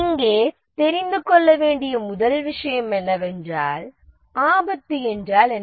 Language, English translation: Tamil, The first thing that to know here is what is a risk